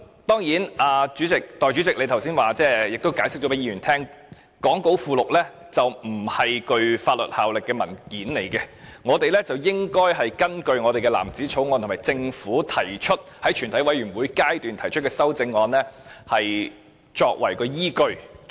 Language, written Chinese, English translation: Cantonese, 當然，代理主席剛才解釋，講稿附錄並非具法律效力的文件，我們應該根據藍紙條例草案和政府的全體委員會審議階段修正案，作為投票依據。, Of course the Deputy Chairman explained just now that the appendix to the script is not a legally binding document and we should vote with reference to the blue bill and the CSA